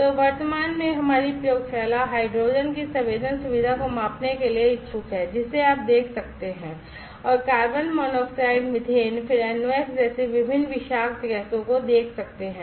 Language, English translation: Hindi, So, at present our lab is interested to measure the sensing facility of hydrogen that you can see and various toxic gases like carbon monoxide methane, then NOx